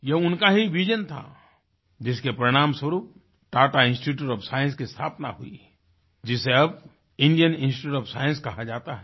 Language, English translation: Hindi, It was his vision that culminated in the establishment of the Tata Institute of Science, which we know as Indian Institute of Science today